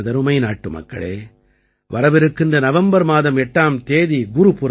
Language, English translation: Tamil, My dear countrymen, the 8th of November is Gurupurab